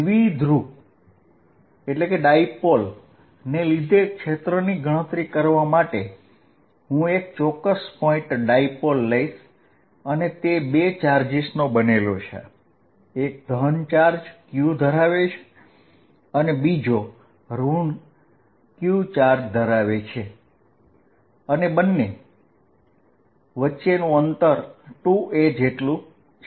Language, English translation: Gujarati, To calculate the field due to a dipole, I am going to be more specific a point dipole what we are going to do is take the dipole to be made up of 2 charges minus q and plus q separated by distance 2a